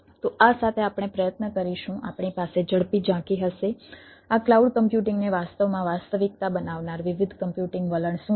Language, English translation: Gujarati, we will have a quick overview of what are the different computing trend which which actually made this cloud computing a reality